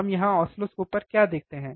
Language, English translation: Hindi, What we see here on the oscilloscope